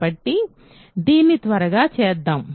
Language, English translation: Telugu, So, let us quickly do this